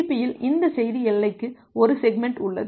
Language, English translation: Tamil, That in TCP this message boundary we call it has a segment